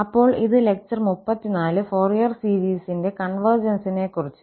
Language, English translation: Malayalam, So, this is lecture number 34 on convergence of Fourier series